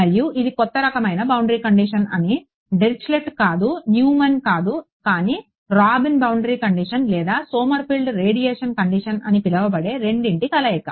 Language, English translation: Telugu, And, we say that this is a new kind of boundary condition not Dirichlet not Neumann, but a combination of the two which is called the Robin boundary condition or Sommerfield radiation condition